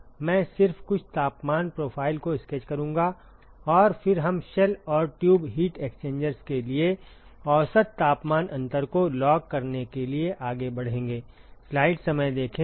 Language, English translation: Hindi, I will just sketch some of the temperature profiles and then we will move on to log mean temperature difference for shell and tube heat exchangers ok